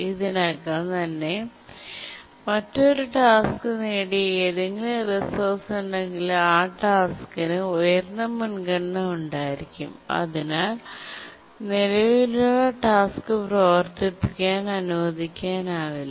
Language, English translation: Malayalam, And therefore, if any of the resource that is used by a task is acquired, already acquired by another task, then that task would have higher priority and the current task could not be allowed to run